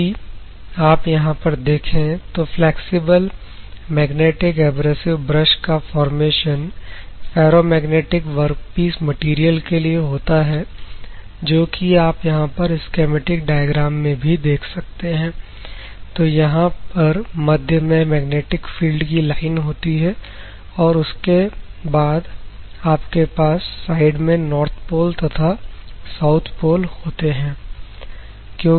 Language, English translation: Hindi, If you see the flexible magnetic abrasive brush formation in ferromagnetic workpiece material, ferromagnetic work piece means it is a magnetic material, what will happen if you see the schematic diagram, the first one, the magnetic field of lines you have at the central portion n; that is North Pole on other sides you have the South Pole